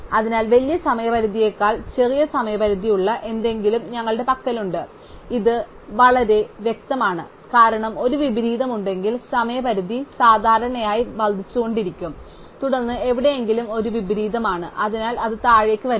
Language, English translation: Malayalam, So, we have something with a smaller deadline which comes later than something to the bigger deadline and this is very clear, because if there is an inversion, then the deadlines normally will keep increasing and then somewhere this is an inversion, so it comes down